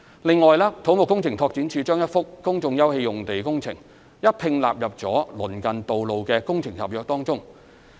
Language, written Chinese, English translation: Cantonese, 此外，土木工程拓展署把一幅公眾休憩用地工程一併納入了鄰近道路的工程合約中。, On another front the Civil Engineering and Development Department has incorporated the works of a site of public open space into the contract for the road works in the vicinity